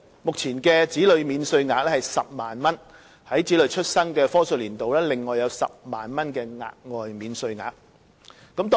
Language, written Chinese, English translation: Cantonese, 目前的子女免稅額是10萬元。在子女出生的課稅年度，另外有10萬元的額外免稅額。, The Child Allowance for tax deduction is currently 100,000 and in the year during which a child is born the Child Allowance will be increased by an additional 100,000